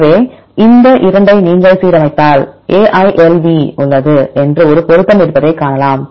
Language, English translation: Tamil, So, if you align these 2 you can see there is a match there is AILV